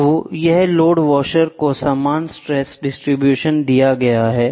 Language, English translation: Hindi, So, this is the load washer given uniform stress distribution